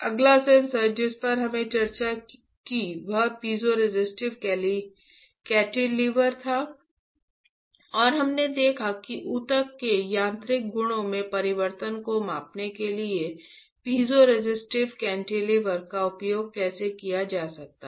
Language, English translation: Hindi, The next sensor that we discussed was the cantilever right, piezoresistive cantilever and we saw that how a piezoresistive cantilever can be used to measure the change in the mechanical properties of tissue